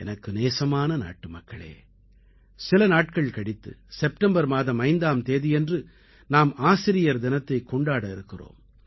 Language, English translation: Tamil, My dear countrymen, in a few days from now on September 5th, we will celebrate Teacher's day